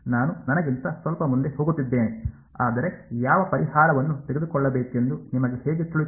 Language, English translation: Kannada, How I am getting a little ahead of myself, but how would you know which solution to take